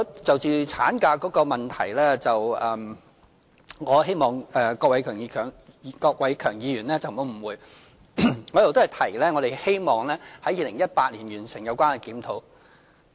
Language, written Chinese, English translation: Cantonese, 就着產假的問題，我希望郭偉强議員不要誤會，我一直都是說希望在2018年完成有關檢討。, As regards the issue of maternity leave I hope Mr KWOK Wai - keung will not have any misunderstanding for I have all along said that I hope the relevant review can be completed in 2018